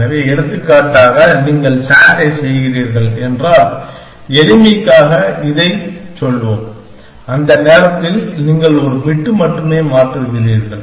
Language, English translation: Tamil, So, for example if you are doing S A T and let us say for simplicity sake that, you are changing only one bit at the time